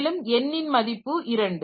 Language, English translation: Tamil, So, n equal to 2